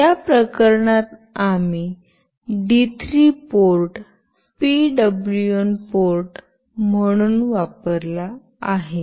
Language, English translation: Marathi, In this case we have used D3 port as the PWM port